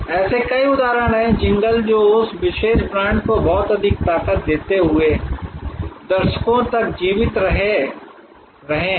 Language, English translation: Hindi, There are many such examples, jingles that have stayed, survived, decades, giving a lot of strength to that particular brand